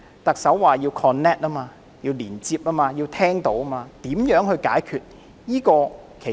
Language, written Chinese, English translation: Cantonese, 特首說要 connect、即要同行、要聆聽，那麼如何解決問題呢？, While the Chief Executive stresses the need to connect and listen what is the solution then?